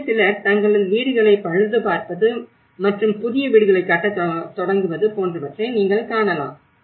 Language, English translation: Tamil, So what you can see like how some people have started repairing their houses and building the new houses